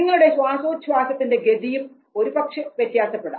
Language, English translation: Malayalam, The respiration rate might change